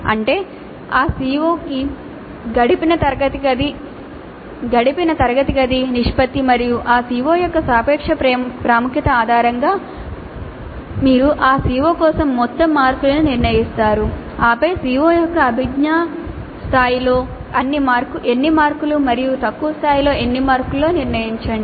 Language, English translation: Telugu, That means based on the proportion of classroom hours spent to that COO and the relative to importance of that CO you decide on the total marks for that COO and then decide on how many marks at the cognitive level of the COO and how many marks at lower levels